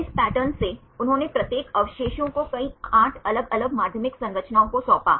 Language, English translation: Hindi, From these patterns they assigned each residue to several 8 different secondary structures